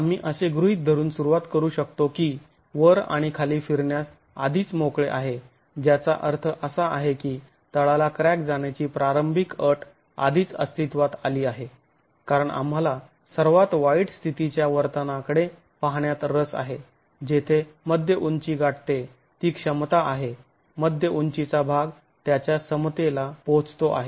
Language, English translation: Marathi, We also commence by assuming that the top and the bottom are free to rotate already which means the initial condition of causing the base crack has already occurred because we are really interested in looking at the behavior around the peak condition where the mid height reaches its capacity mid height section reaches its capacity so we are starting with the assumption that the two ends are pinned already in this particular case